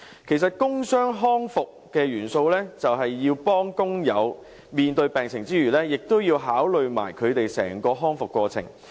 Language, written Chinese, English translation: Cantonese, 其實，工傷康復的元素是幫助工友面對病情之餘，亦要考慮他們整個康復過程。, In fact apart from helping workers face up to their medical conditions work injury rehabilitation should also take their whole recovery process into account